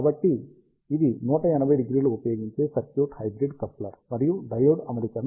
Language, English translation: Telugu, So, this is the circuit using 180 degree hybrid coupler and a diode arrangement